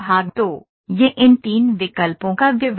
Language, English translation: Hindi, So, this is the details of these three options those are there